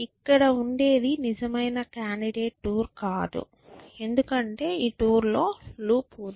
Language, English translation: Telugu, What I get is not really a candidate tour because this tour has a loop inside before